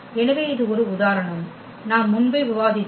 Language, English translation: Tamil, So, this was the one example which we have already discussed before